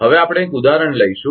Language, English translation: Gujarati, Now, we will take a take an example